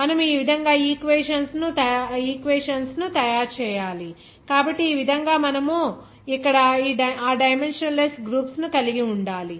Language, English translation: Telugu, You have to make the equations like this so in this way you have to that dimensionless groups here